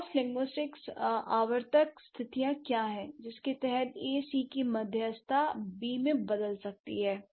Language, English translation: Hindi, What are the cross linguistically recurrent conditions under which A may change into B with the mediation of C